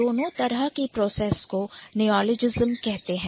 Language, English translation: Hindi, In both ways the process is called as neologism